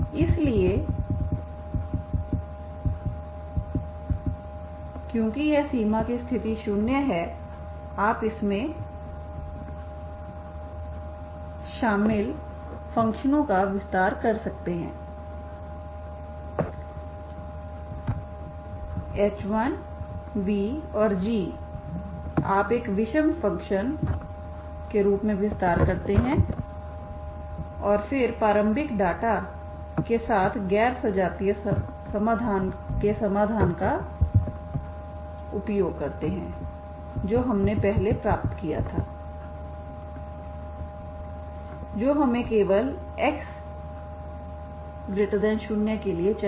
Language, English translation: Hindi, So because this boundary condition is 0 you can extend this functions involved h1 and v and g you extend as an odd functions, okay and then make use of the solution of the non homogeneous solution with the initial data, okay that is what we derived here so use this one this is now this is true for every x belongs to R and t positive, what we need is for only x positive, okay